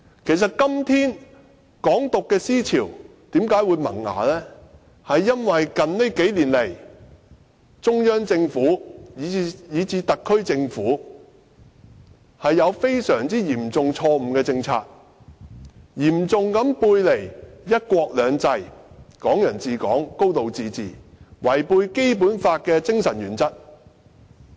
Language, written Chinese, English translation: Cantonese, 其實，"港獨"思潮之所以在今天萌芽，是因為中央政府以至特區政府在這數年推出了一些嚴重錯誤的政策，嚴重背離"一國兩制"、"港人自港"和"高度自治"的原則，以及違背《基本法》的精神。, As a matter of fact the ideology of Hong Kong independence is able to take root because both the Central and SAR Governments have implemented some seriously erroneous policies which not only have seriously run counter to the principles of one country two systems Hong Kong people ruling Hong Kong and a high degree of autonomy but also violated the spirit of the Basic Law